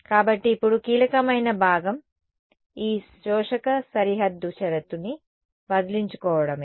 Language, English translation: Telugu, So, now the key part is to get rid of this absorbing boundary condition